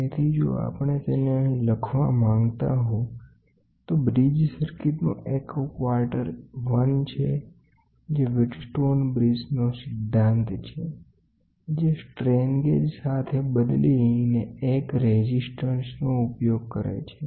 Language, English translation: Gujarati, So, if we wanted to write it here a quarter of a bridge circuits is 1 which is very simple wheat stone bridges principle which uses 1 resistor replaced with the strain gauge, ok